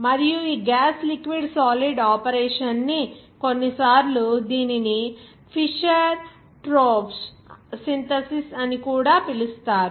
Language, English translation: Telugu, And this gas liquid solid operation sometimes it is called that is Fischer Tropsch synthesis